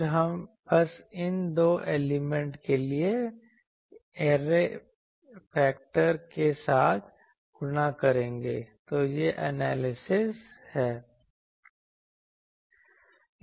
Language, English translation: Hindi, Then we will simply multiply that with the array factor for these two elements, so that is the analysis